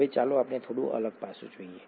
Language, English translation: Gujarati, Now, let us look at a slightly different aspect